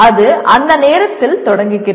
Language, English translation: Tamil, It possibly starts at that time